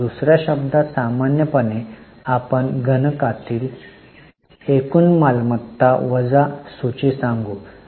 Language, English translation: Marathi, In other words, normally we can say it's total current assets minus inventories in the numerator